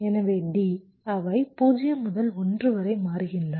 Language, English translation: Tamil, so d will change from one to zero